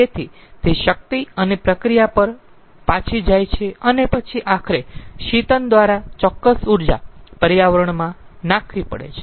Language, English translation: Gujarati, so it goes back to power and process and then ultimately certain amount of energy has to be dumped to the environment through cooling